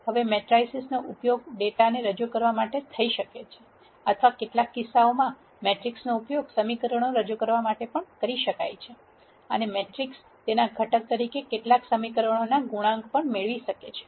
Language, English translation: Gujarati, Now, matrices can be used to represent the data or in some cases matrices can also be used to represent equations and the matrix could have the coef cients in several equations as its component